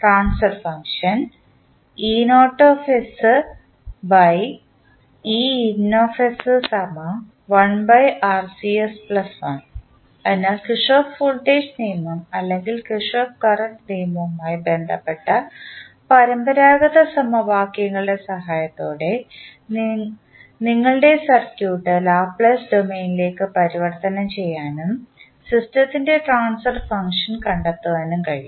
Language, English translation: Malayalam, So, with the help of the conventional equations related to Kirchhoff Voltage Law or Kirchhoff Current Law, you can convert your circuit into the Laplace domain and then find out the transfer function of the system